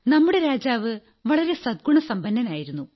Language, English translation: Malayalam, This king of ours had many qualities